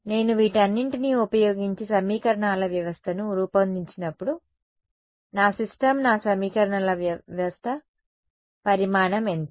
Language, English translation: Telugu, When I form assemble a system of equations using all of these what is my system the size of my system of equations